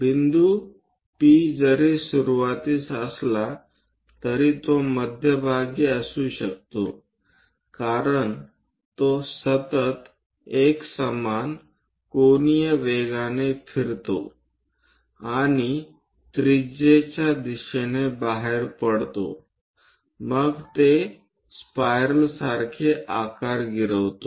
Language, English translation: Marathi, This point P though initially, it might be at center as it moves with the constant angular velocity and moving out radially then it tracks a shape like a spiral